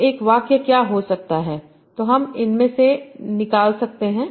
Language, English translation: Hindi, So what can be one sentence you can compose out of this